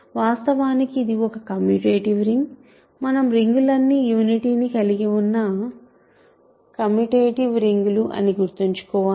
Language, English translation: Telugu, In fact, it is a commutative ring in we remember all our rings are supposed to be commutative with unity